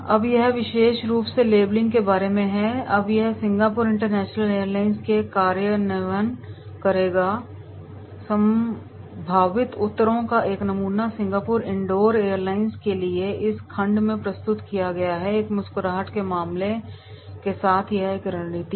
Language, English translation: Hindi, Now this particular labelling… Now will make the implementation in Singapore International Airlines, a samples set of possible answers is presented in this section to the Singapore indoor Airlines: Strategy with a smile case